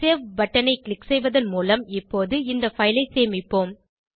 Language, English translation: Tamil, Now, let us save the file by clicking on the Save button